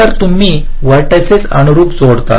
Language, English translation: Marathi, you connect the vertices correspondingly